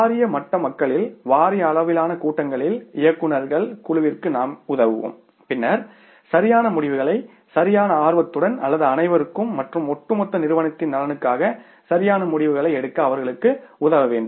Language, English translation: Tamil, We will be some time at the board level people in the board level meetings to the board of directors and then we will have to help them to take the say right decisions in the right earnest or in the interest of everybody and the firm as a whole